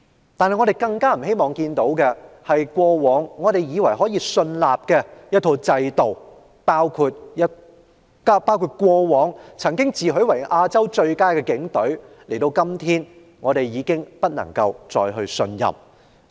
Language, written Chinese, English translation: Cantonese, 然而，我們更不希望看到的是，過往以為可以信任的制度，包括曾自詡為"亞洲最佳"的警隊，時至今日已經不能再信任。, Yet it is most saddening that the systems we once trusted including the self - proclaimed Asian best Police Force are no longer trustworthy